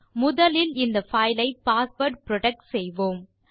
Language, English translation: Tamil, First let us learn to password protect this file